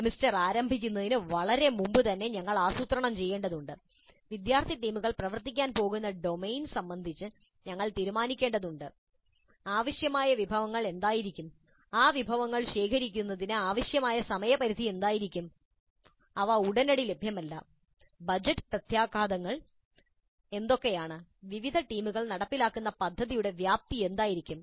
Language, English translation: Malayalam, Much before the commencement of the semester, we need to plan, we need to decide on the domain in which the student teams are going to work, what will be the resources required, what will be the time frame required to procure those resources in case they are not immediately available, what are the budget implications, and what will be the scope of the project to be implemented by different teams